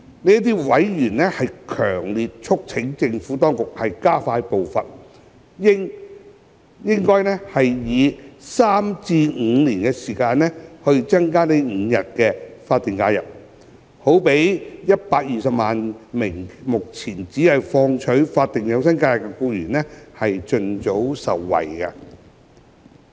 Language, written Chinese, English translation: Cantonese, 這些委員強烈促請政府當局加快步伐，以3年至5年時間增加5日法定假日，讓約120萬名目前只放取法定假日的僱員盡早受惠。, Those members strongly urged the Administration to expedite the pace by adding five SHs in three to five years time so that some 1.2 million employees currently taking SHs only could benefit as soon as possible